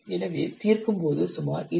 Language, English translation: Tamil, So on solving we will get approximately 28